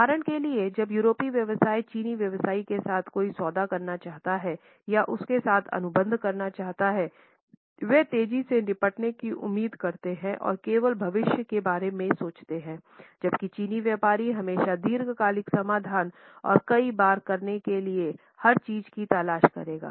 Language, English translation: Hindi, For instance when European businessman want to make a deal or sign a contract with Chinese businessmen, they expect to make to deal fast and only think about the future while the Chinese businessman will always look for a long term solution and everything to do several times